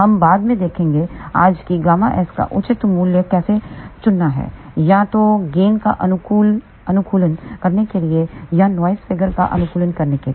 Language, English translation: Hindi, We will see that later on today how to choose proper value of gamma s either to optimize gain or to optimize noise figure